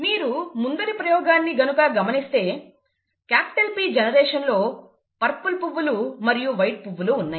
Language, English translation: Telugu, Therefore, if you look at the earlier experiment again, the P generation had purple flowers, white flowers